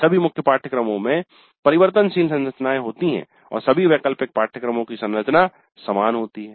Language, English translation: Hindi, All core courses have variable structures and all elective courses have identical structure